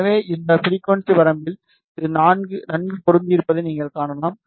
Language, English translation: Tamil, So, you can see it is well matched in this frequency range